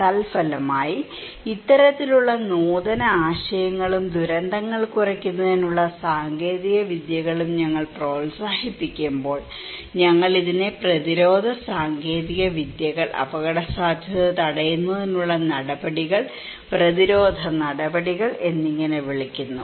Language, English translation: Malayalam, As a result, when we promote this kind of innovative ideas, technologies to reduce disasters, we call these preventive technologies, risk preventive measures, countermeasures